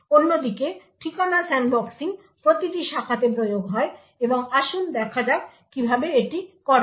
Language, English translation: Bengali, The Address Sandboxing on the other hand enforces every branch and let us sees how this is done